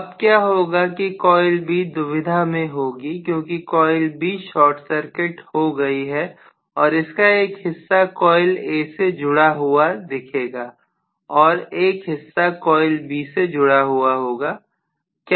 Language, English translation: Hindi, Now what is going to happen is coil B is under confusion kind of because coil B is short circuited and part of it is going to be showing affiliation to coil A and part of it is going to show affiliation tocoil B